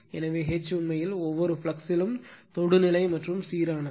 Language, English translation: Tamil, So, H actually at every flux is tangential and uniform right